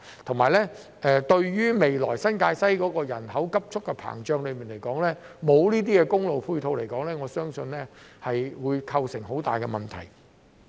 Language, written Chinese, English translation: Cantonese, 再者，由於未來新界西人口急速膨脹，如果沒有公路配套，我相信會構成很大的問題。, Moreover given the rapid expansion of the population in New Territories West I think there would be a big problem if there is no highway to provide support